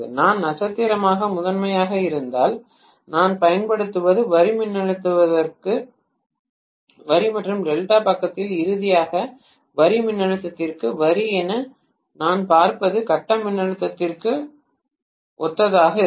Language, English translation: Tamil, If I am having primary as star what I am applying is line to line voltage and what I look at the as line to line voltage finally in the delta side will be similar to the phase voltage